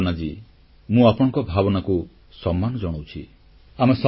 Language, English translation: Odia, Namaste Bhawnaji, I respect your sentiments